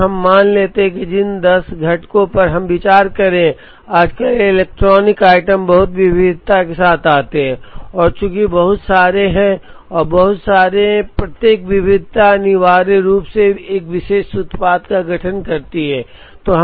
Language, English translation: Hindi, And let us assume that, about 10 components that we are considering, nowadays electronic items come with a lot of variety and since there are lots and lots of variety, each variety essentially constitutes a particular product